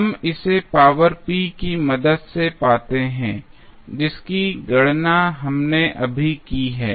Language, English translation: Hindi, We find with the help of the power p, which we just calculated